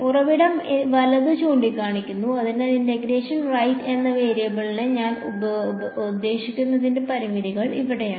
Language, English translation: Malayalam, The source points right; so, those are the also the limits of I mean the variable of integration right